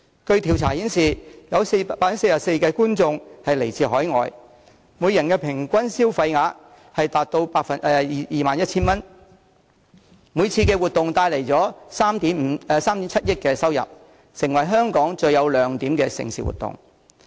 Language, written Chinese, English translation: Cantonese, 據調查顯示，該項賽事有 44% 觀眾來自海外，每人平均消費額達到 21,000 元，每次活動可帶來 370,000,000 元收入，是香港最有亮點的盛事活動。, According to a survey 44 % of race goers in the event are overseas visitors and their average spending is as much as 21,000 per visitor generating a revenue of 370 million every year and making the event the most successful mega event in Hong Kong